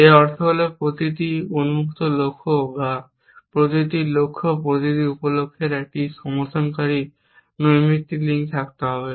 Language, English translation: Bengali, It means every open goal or every goal every sub goal must have a supporting casual link